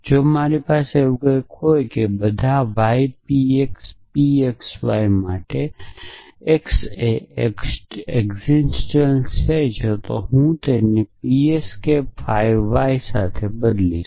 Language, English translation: Gujarati, If I had something like this there exists x for all for all y p y p x y then I would replace it with p s k 5 y